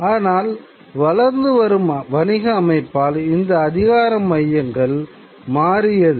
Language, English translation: Tamil, But with an expanding commercial system, these centers change